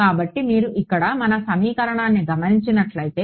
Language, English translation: Telugu, So, if you notice our equation over here